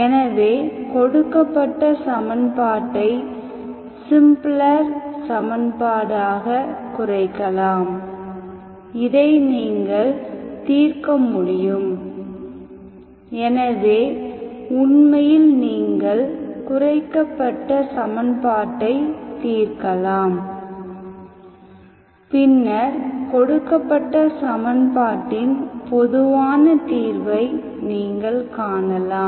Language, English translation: Tamil, So we reduce the equation in, reduce the given equation into simpler equation, so which you can hope to solve, so actually you can solve the reduced equation and then you find the general solution of the given equation